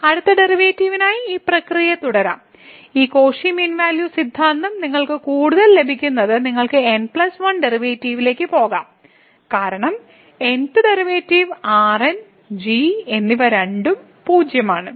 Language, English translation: Malayalam, And now we can continue this process further for the next derivative supplying this Cauchy's mean value theorem further what you will get we can go up to the plus 1th derivative because, up to n th derivative and both are 0